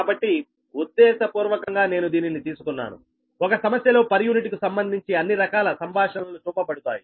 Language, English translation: Telugu, so this, intentionally i have taken this such that in one problem all sort of conversation to per unit can be shown right, because this are the